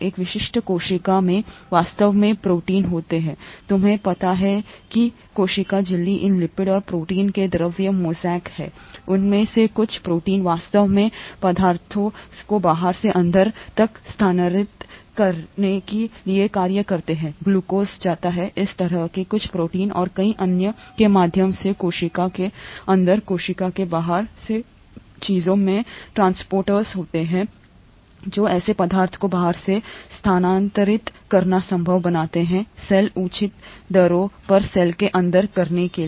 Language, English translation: Hindi, In a typical cell, there are actually proteins, you know the, cell membrane is fluid mosaic of these lipids and proteins, some of those proteins actually function to transfer substances from the outside to the inside, glucose goes from outside the cell to the inside of the cell, through some such proteins and many other things have transporters that make it possible for such substances to move from the outside of the cell to the inside of the cell at reasonable rates